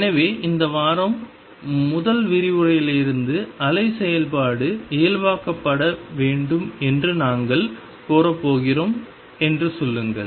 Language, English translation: Tamil, So, remember from the first lecture this week there are saying that we are going to demand that the wave function being normalize